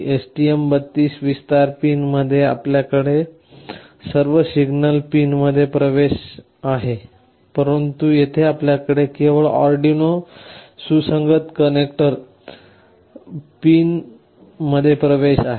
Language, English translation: Marathi, In the STM32 extension pins, you have access to all the signal pins, but here you have access to only the Arduino compatible connector pins